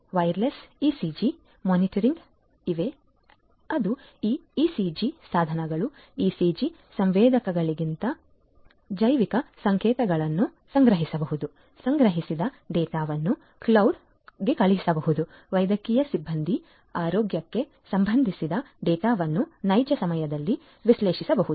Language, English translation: Kannada, Wireless ECG monitors are there which can collect bio signals from this ECG devices, ECG sensors; the collected data could be sent to the cloud; medical staffs can analyze the health related data in real time